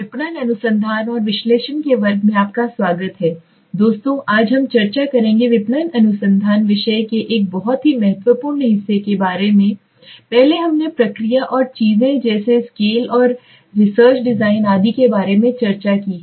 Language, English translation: Hindi, Welcome friends to the class of marketing research and analysis today we will be discussing about a very important part of the marketing research subject earlier we have discuss about the process and things like scale and research design etc